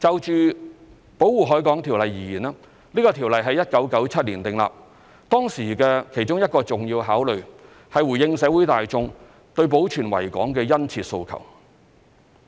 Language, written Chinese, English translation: Cantonese, 就《條例》而言，這項條例於1997年訂立。當時的其中一個重要考慮，是回應社會大眾對保存維港的殷切訴求。, When the Ordinance was enacted in 1997 one very important consideration was to respond to the ardent aspirations of the public to preserve the Victoria Harbour